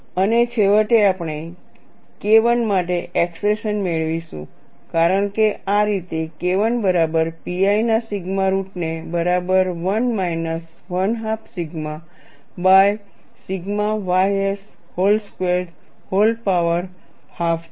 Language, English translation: Gujarati, And we would finally get the expression for K 1 as, in this fashion, K 1 equal to sigma root of pi a divided by 1 minus 1 by 2 sigma by sigma ys whole square whole power half